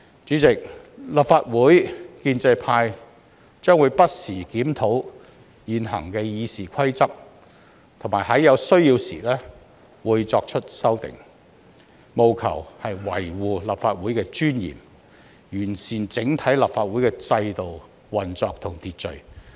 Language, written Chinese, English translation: Cantonese, 主席，立法會建制派將會不時檢討現行《議事規則》，並會在有需要時作出修訂，務求維護立法會的尊嚴，完善整體立法會的制度、運作和秩序。, President the pro - establishment camp of the Legislative Council will review the existing RoP from time to time and will propose amendments where necessary with a view to preserving the sanctity of the Legislative Council as well as improving the system operation and order of the Legislative Council as a whole